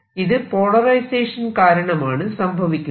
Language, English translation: Malayalam, what about the polarization inside